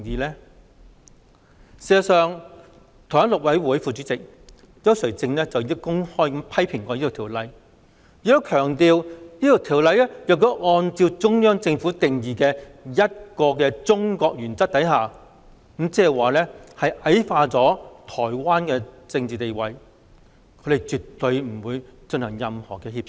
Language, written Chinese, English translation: Cantonese, 事實上，台灣大陸委員會副主任委員邱垂正已公開批評《條例草案》，亦強調如果《條例草案》按照中央政府定義的"一個中國"原則，將矮化了台灣的政治地位，他們絕對不會進行任何協商。, In fact CHIU Chui - cheng Deputy Minister of Taiwans Mainland Affairs Council has openly criticized the Bill stressing that the Bill would relegate Taiwans political status given its basis on the One China principle defined by the Central Government and therefore they would absolutely refrain from engaging in any negotiations